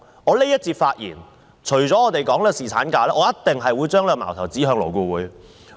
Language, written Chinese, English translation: Cantonese, 我在這一節的發言除了討論侍產假，我一定會把矛頭指向勞顧會。, In this speech apart from speaking on paternity leave I will also throw my spear at LAB